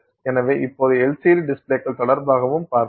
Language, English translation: Tamil, So, now let's see also with respect to LCD displays